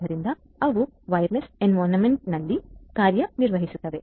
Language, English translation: Kannada, So, they operate in wireless environment